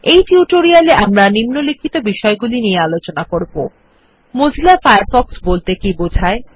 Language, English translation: Bengali, In this tutorial,we will cover the following topic: What is Mozilla Firefox